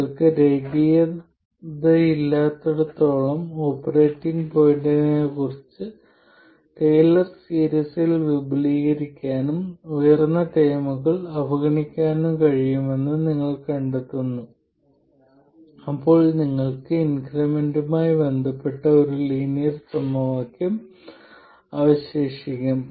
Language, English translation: Malayalam, And then you find that wherever you have a non linearity, you can expand it in a Taylor series about the operating point and neglect higher order terms, that is second and higher order terms, then you will be left with a linear equation relating the increments